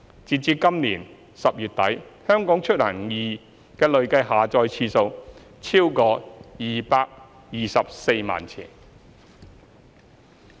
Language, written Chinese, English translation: Cantonese, 截至今年10月底，"香港出行易"的累計下載次數超過224萬次。, As at the end of October this year HKeMobility has been downloaded over 2.24 million times in total